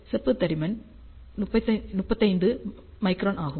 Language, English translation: Tamil, Copper thickness is 35 micron